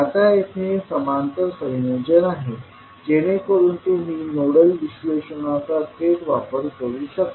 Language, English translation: Marathi, Now here, it is a parallel combination so you can straightaway utilize the nodal analysis